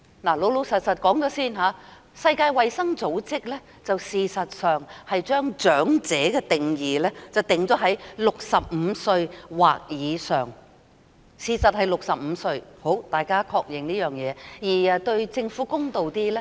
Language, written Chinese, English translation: Cantonese, 老實說，世界衞生組織將長者的定義定於65歲或以上，事實上是65歲，大家可確認這件事而對政府公道一點。, Frankly speaking the World Health Organization has defined elderly people as those aged 65 or older . It is in fact 65 years . We can confirm it and be somewhat fair to the Government